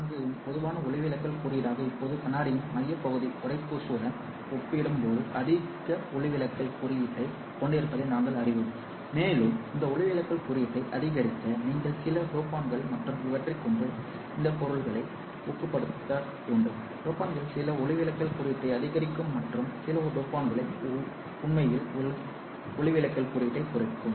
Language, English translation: Tamil, Now we know that the core part of the glass has to have a higher refractive index compared to the cladding and in order to increase this refractive index you have to dope this material with certain dopants and these dopants can be increasing the refractive index certain dopants and certain dopants actually decrease the refractive index